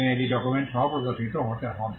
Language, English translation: Bengali, and that has to be demonstrated with documents